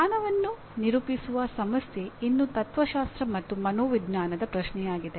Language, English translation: Kannada, So, the problem of characterizing knowledge is still an enduring question of philosophy and psychology